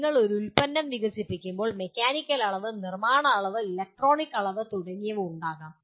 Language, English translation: Malayalam, There could be when you are developing a product there could be mechanical dimension, there could be manufacturing dimension, there could be electronics dimension and so on